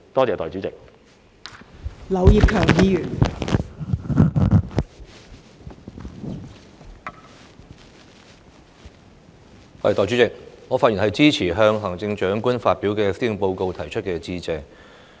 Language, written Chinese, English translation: Cantonese, 代理主席，我發言支持就行政長官發表的施政報告提出的致謝動議。, Deputy President I speak in support of the Motion of Thanks on the Policy Address delivered by the Chief Executive